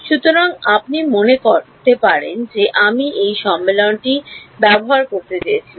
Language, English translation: Bengali, So, you can think of it as supposing I wanted to use the convention